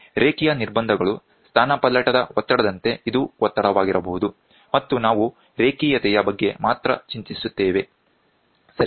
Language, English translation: Kannada, Linearity constraints are as the pressure this can be displacement, this can be pressure, ok and we are only worried about the linearity, ok